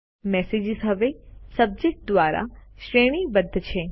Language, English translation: Gujarati, The messages are sorted by Subject now